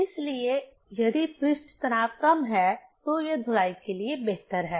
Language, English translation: Hindi, So, if surface tension is less, it is the better for washing